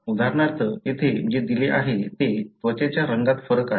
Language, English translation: Marathi, For example, what is given here is variations in the skin colour